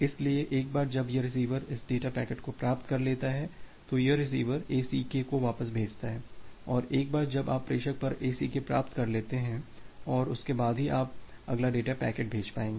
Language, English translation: Hindi, So, once this data packet is received by this receiver, then this receivers send back the ACK and once you are receiving that ACK at the sender, then only you will be able to send the next data packet